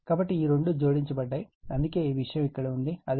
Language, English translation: Telugu, So, this 2 are added, so that is why your this thing is there right, similarly here right